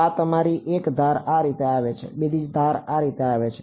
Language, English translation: Gujarati, So, this is your one edge comes in like this, the other edge if it comes like this